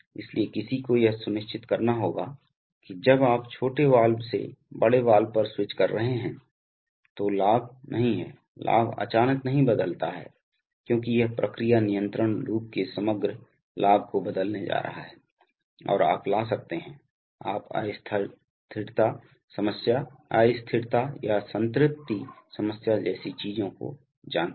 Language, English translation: Hindi, So one has to ensure that the, when you are switching from the small valve to the large valve, the gain is not, the gains are, the gains do not suddenly change because that is going to change the overall gain of the process control loop and may bring in, you know things like instability problems, instability or saturation problem